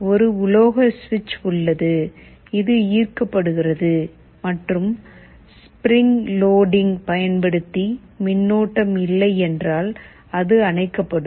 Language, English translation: Tamil, There is a metal switch, which gets attracted and if there is no current using spring loading it turns off